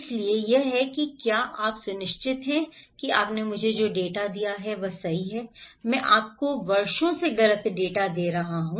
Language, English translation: Hindi, So, here is this that are you sure that data you gave me is correct, I have been giving you incorrect data for years